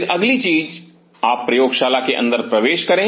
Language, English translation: Hindi, Then the next thing you enter inside the lab